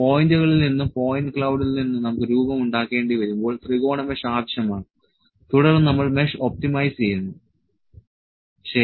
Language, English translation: Malayalam, Triangle mesh is required when we need to produce the shape from the points, from the point cloud; then we optimize the mesh, ok